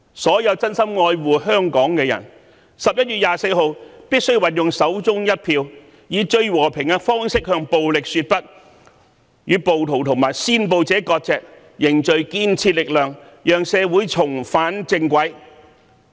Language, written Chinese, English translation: Cantonese, 所有真心愛護香港的人，均必須在11月24日運用手中一票，以最和平的方式向暴力說不，與暴徒和煽暴者割席，凝聚建設力量，讓社會重返正軌。, All of us who genuinely care about Hong Kong should exercise the votes in our hands on 24 November to say no to violence in a most peaceful manner sever ties with rioters and instigators of violence bring together constructive efforts and put our society back on the right track